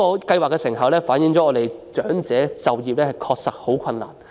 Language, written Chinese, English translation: Cantonese, 計劃的成效反映本港長者就業的確實困難。, The effectiveness of the programme reflects that the elderly in Hong Kong really have difficulty in employment